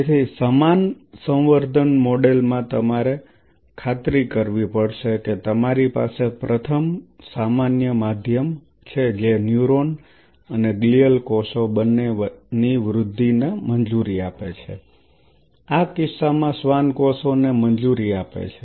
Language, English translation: Gujarati, So, in the same culture model you have to ensure that you have first common medium allowing growth of both neuron and gual cells in this case the Schwann cells